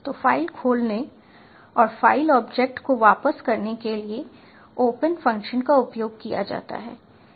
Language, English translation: Hindi, so the open function is used to open a file and returns a file object